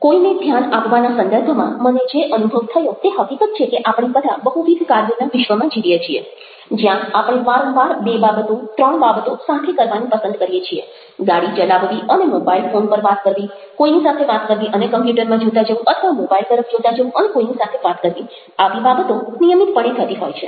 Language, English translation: Gujarati, now here i would like to share with you some of the very interesting things i have realized in the context of giving attention to somebody is the fact that we live in a world of multi tasking, where we we very often love to do two things, three things together: driving a car and talking over a mobile phone, talking to somebody and looking at the computer, things like that, or looking at the mobile and speaking with somebody